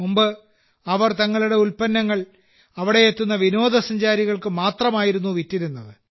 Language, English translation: Malayalam, Earlier they used to sell their products only to the tourists coming there